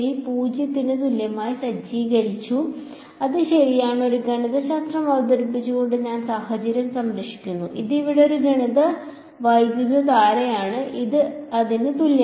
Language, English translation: Malayalam, So, observer 1 set the fields equal to 0 that is alright I save the situation by introducing a mathematical remember this is a mathematical current over here which is equal to this